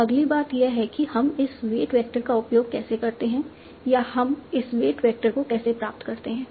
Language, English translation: Hindi, So next thing is that how do we use this weight vector or how do we obtain this work vector